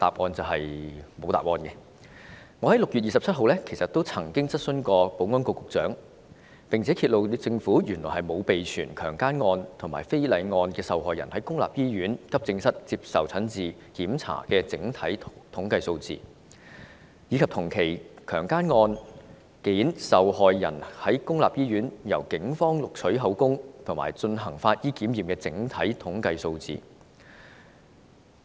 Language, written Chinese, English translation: Cantonese, 我在6月27日曾經向保安局局長提出質詢，結果揭露政府原來沒有備存強姦案和非禮案受害人在公立醫院急症室接受診治和檢查的整體統計數字，以及同期強姦案件的受害人在公立醫院由警方錄取口供及進行法醫檢驗的整體統計數字。, I asked the Secretary for Security an oral question on 27 June it turns out that the Government has not maintained figures on victims of rape cases and indecent assault cases who received treatment or underwent examinations at AED of public hospitals and has not maintained figures on victims of rape cases who gave witness statements to the Police and underwent forensic examinations in public hospitals in the same period